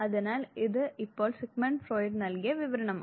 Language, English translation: Malayalam, So, this is now description that was given by Sigmund Freud